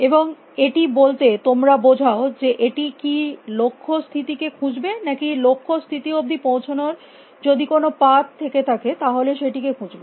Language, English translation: Bengali, And by completeness you mean will it find the goal state or will it find a path to the goal state if one exists